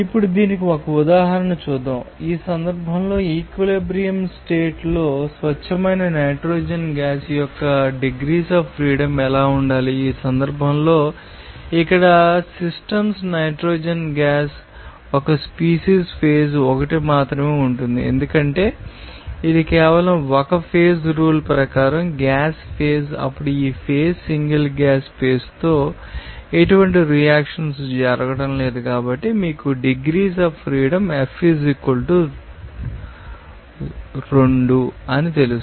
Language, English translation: Telugu, To the present its properties let us have an example for this now, in this case, what should be the degrees of freedom for pure nitrogen gas at equilibrium condition in this case the system here will consist only component 1 that is nitrogen gas 1 species phase is 1 because only gas was phase then according to this phase rule, since there is no reaction is going on with this you know gas phase single gas space then you know degrees of freedom will be they are F = 2